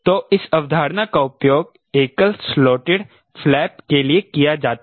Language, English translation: Hindi, so this concept is used for single slotted flap